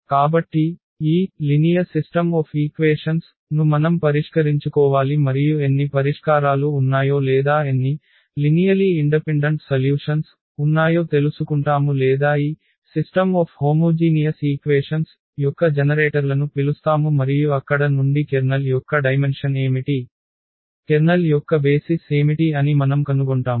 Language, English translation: Telugu, We need to solve this system of linear equations and we will find out how many solutions are there or how many linearly independent solutions are there or in other words we call the generators of the solution of this system of homogeneous equations and from there we will find out what is the what is the dimension of the Kernel, what is the what are the basis of the Kernel